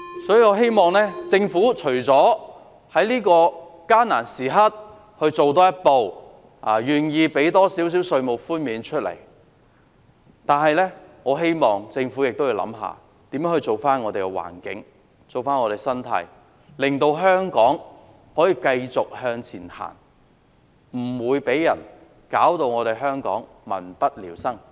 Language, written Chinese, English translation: Cantonese, 所以，我希望政府在這個艱難時刻，除了多做一步，給予市民多一點稅務寬免外，也會想想如何為我們的環境、我們的社會生態做些事，令香港可以繼續向前走，不會再被人弄至民不聊生。, So I hope that at this difficult time the Government will not only go the extra step of granting the public a little more tax reduction but also deliberate what it can do for our environment and the ecology of our society to enable Hong Kong to continue to move forward and avoid being dragged into such a miserable state again